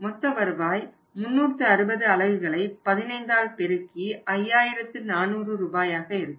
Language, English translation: Tamil, Gross return is going to be 360 units into 15 so that is going to be something like 5400 rupees